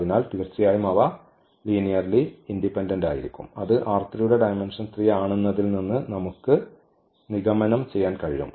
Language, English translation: Malayalam, So, definitely they are linearly dependent which we can conclude from the dimension of R 3 which is 3